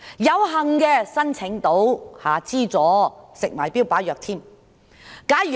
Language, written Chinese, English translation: Cantonese, 有幸申請到資助的患者，可服食標靶藥。, Those who are fortunate enough to apply for subsidy can take targeted therapy drugs